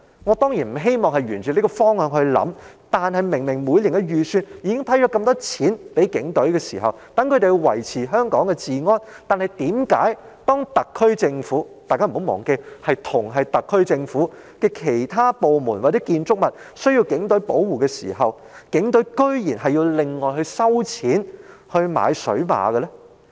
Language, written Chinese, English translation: Cantonese, 我當然不希望沿這個方向思考，但每年的預算案明明已批核大量款項予警隊，供他們維持香港治安，為何當同屬特區政府轄下的其他政府部門或建築物需要警隊給予保護時，警隊卻要另外收錢購買水馬？, Is this really the case? . I certainly do not wish to consider the matter in this way but given that a considerable amount of financial provision has actually been earmarked for the Police Force under the Budget every year so that it can maintain law and order in Hong Kong how come the Force has to charge other government departments separately for the procurement of water barriers when these departments or buildings which are also under the SAR Government need police protection?